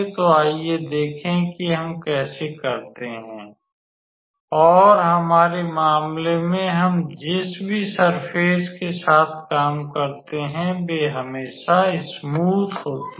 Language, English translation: Hindi, So, let us see how we can do that and in our case whatever surface we work with, they are always smooth